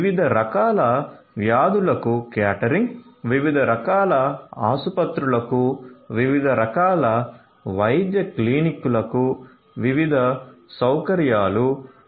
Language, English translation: Telugu, Catering to different types of diseases; catering to different types of hospitals, different types of medical clinics having different facilities